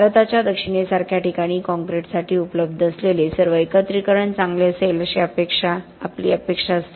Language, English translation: Marathi, Places like south of India we generally expected that all aggregates available for concrete would be good